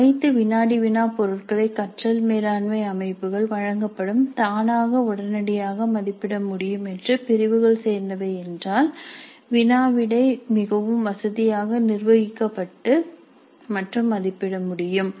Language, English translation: Tamil, If all quiz items belong to categories that can be readily evaluated automatically as offered by the learning management systems then the quizzes can be very conveniently administered and evaluated